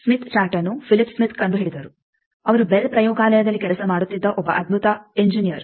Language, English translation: Kannada, Smith chart was invented by Phillip Smith; a brilliant engineer was working in Bell laboratory